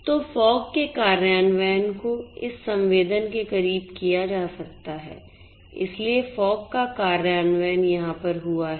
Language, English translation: Hindi, So, fog implementation can be done closer to this sensing so, fog implementation can happen over here, but you know